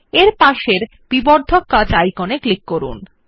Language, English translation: Bengali, Click the magnifying glass icon that is next to it